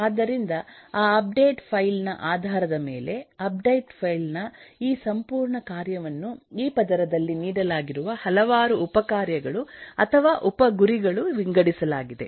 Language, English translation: Kannada, so, based on that, eh, the update file, this whole task of update file is divided in terms of a number of subtasks or sub goals which are given in this layer